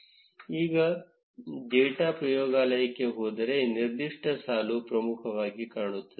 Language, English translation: Kannada, If you go to the data laboratory now, that particular row will be highlighted